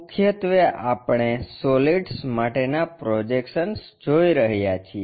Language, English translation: Gujarati, Mainly, we are looking at Projection of Solids